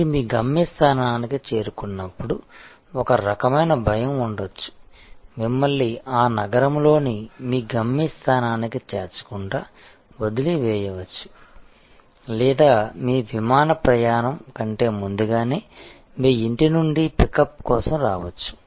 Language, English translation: Telugu, So, when you arrive at your destination there can be a certain kind of fear, where there will be a losing provided, which will drop you at your destination in that city or there could, even earlier there use to be pickup service from your home for your flight